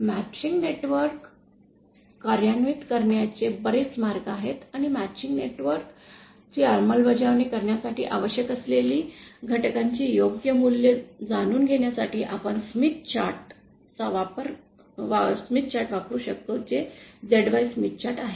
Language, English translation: Marathi, There are various ways of implementing a matching network and we can use the Smith chart that is the ZY Smith chart to know the correct values of the elements that are required for implementing a matching network